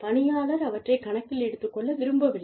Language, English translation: Tamil, And, people do not want to take them, into account